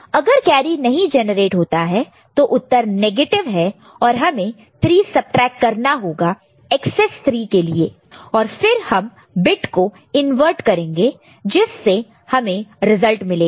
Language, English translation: Hindi, If no carry, result is negative and we have to subtract 3 for XS 3 and we can invert the bit we get the result, ok